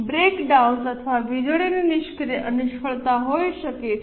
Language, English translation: Gujarati, There can be breakdowns or power failures